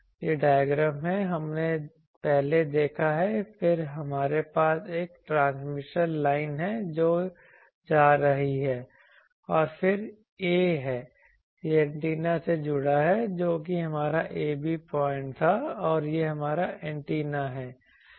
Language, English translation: Hindi, This diagram we have seen earlier then we have a transmission line that is going and then there is a it is connected to antenna that was our ‘ab’ point and this is our antenna